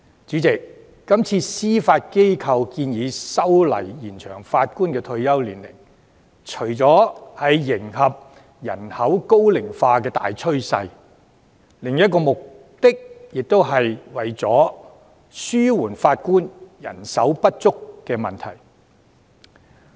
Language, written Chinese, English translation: Cantonese, 主席，今次司法機構建議修例以延展法官退休年齡，除為了迎合人口高齡化的大趨勢，也為了紓緩法官人手不足的問題。, President the Judiciarys proposal to extend the retirement ages for Judges seeks not only to cope with the trend of ageing population but also to alleviate the shortage of Judges